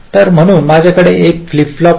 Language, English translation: Marathi, so so i have a flip flop